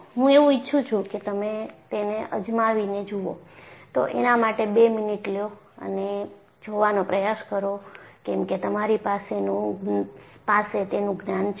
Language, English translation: Gujarati, I would like you to try it out; take 2 minutes and try to look at because you have the knowledge